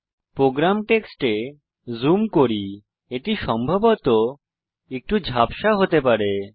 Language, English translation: Bengali, Let me zoom into the program text it may possibly be a little blurred